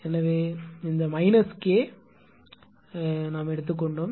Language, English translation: Tamil, So, we have taken the this minus K was there